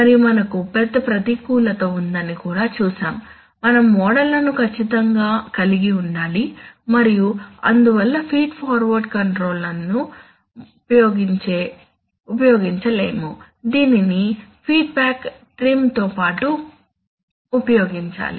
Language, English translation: Telugu, And, but we have also seen that this, it has a big disadvantage that we need to have the models accurately and therefore, feed forward control cannot be used in isolation, it must be used along with a feedback trim